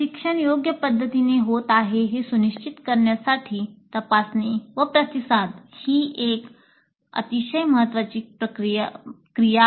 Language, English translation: Marathi, This is probe and respond is a very key activity to ensure that learning is happening in a proper fashion